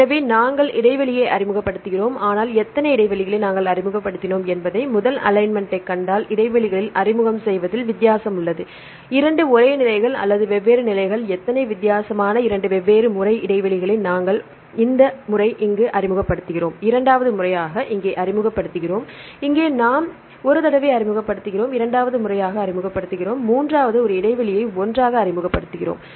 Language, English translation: Tamil, So, we introduce gaps, but there is a difference between the introduce in the gaps if you see the first alignment how many gaps we introduced 2; 2 are the same positions or different positions how many different 2 different times we introduced gaps this one time we introduce here the second time we introduce here, here we introduce one time here and second time here and third one we introduce gap together